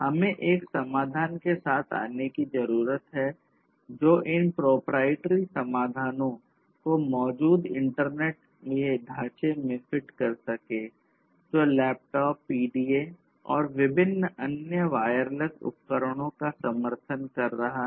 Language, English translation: Hindi, We need to come up with a solution which can fit these proprietary solutions to the existing framework of the internet; which is, which is already supporting laptops PDAs and different other wireless devices